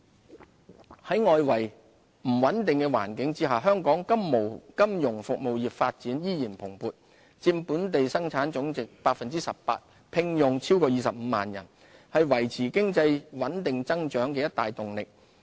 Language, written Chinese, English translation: Cantonese, 金融服務在外圍不穩定的環境下，香港金融服務業發展依然蓬勃，佔本地生產總值 18%， 聘用超過25萬人，是維持經濟穩定增長的一大動力。, Amid the unstable external environment Hong Kongs financial services industry maintained a robust performance contributing 18 % of our GDP and employing over 250 000 people